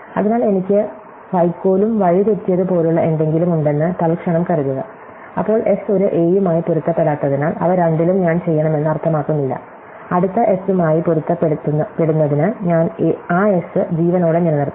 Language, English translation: Malayalam, So, for instant supposing I have something like straw and astray, then just because the S does not match the a, does not mean that I should in both of them, I should keep that S alive to match with next S